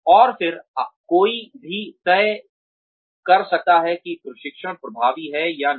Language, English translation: Hindi, And then, one can decide, whether the training has been effective or not